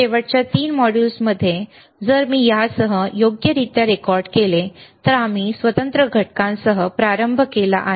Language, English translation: Marathi, In the in the last 3 modules, if I if I correctly record including this one, is we have started with the discrete components